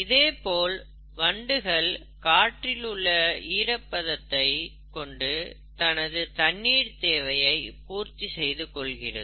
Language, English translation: Tamil, There are beetles which use moisture in the air for their water requirements